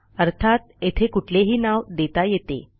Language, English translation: Marathi, So we can give this any name